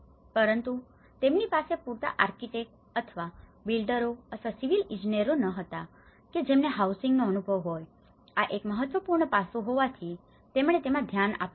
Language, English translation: Gujarati, But they do not have enough architects or builders or the civil engineers who has an experience in housing, this is one important aspect which they have looked into it